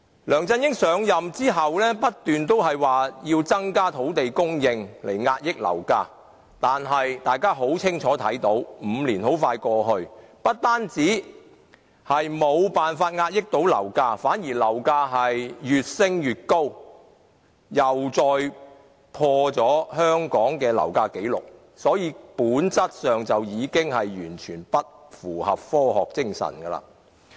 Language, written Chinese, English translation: Cantonese, 梁振英上任後不斷說要增加土地供應來遏抑樓價，但大家很清楚看到 ，5 年很快過去，不單沒有辦法遏抑樓價，樓價反而越升越高，又再打破香港的樓價紀錄，所以本質上已經完全不符合科學精神。, Since assuming the post of Chief Executive LEUNG Chun - ying has been saying the need to increase land supply to suppress rising property prices . However five years have passed and property prices have apparently skyrocketed rather than being suppressed . The property prices in Hong Kong which have again made a new record have actually increased in a way that betrays science